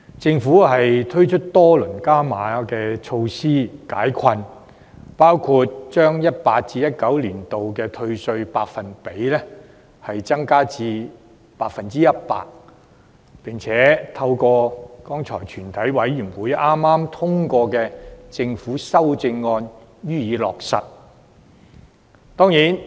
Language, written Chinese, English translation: Cantonese, 政府推出多輪加碼措施解困，包括把 2018-2019 年度的稅務寬減百分比提高至 100%， 並透過全體委員會剛才通過的政府修正案予以落實。, The Government has thus introduced several rounds of enhanced relief measures including raising the percentage for tax reduction to 100 % for the year 2018 - 2019 to be implemented by way of government amendments passed by the Committee earlier